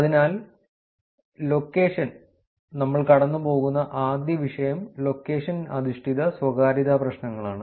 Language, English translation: Malayalam, So, location, the first topic that we will go through is location based privacy problems